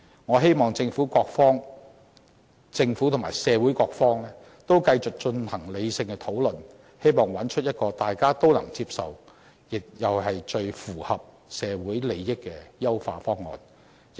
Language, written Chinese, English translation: Cantonese, 我希望政府和社會各方都繼續進行理性討論，找出一個大家都能接受，又最符合社會利益的優化方案。, I hope that the Government and various sectors in the community can continue discussing rationally for an improved solution that is acceptable to all and beneficial to society